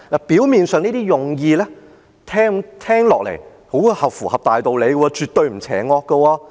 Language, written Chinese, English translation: Cantonese, 表面上，這些用意聽起來很符合大道理，絕對不邪惡。, Superficially the intention sounds reasonable and nothing evil at all